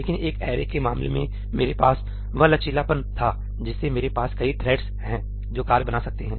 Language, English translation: Hindi, But in case of an array I had that flexibility, that I can have multiple threads create the work